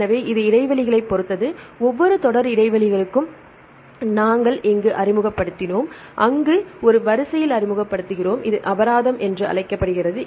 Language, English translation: Tamil, So, that depends upon the gaps, we introduced here for each series of gaps where we introduce in a sequence we give a penalty that is called origination penalty